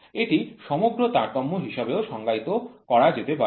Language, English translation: Bengali, It can also be defined as the total variation